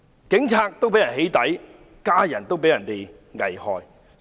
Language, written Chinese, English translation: Cantonese, 警務人員被起底，家人被危害。, Police officers have been doxxed and their families put in jeopardy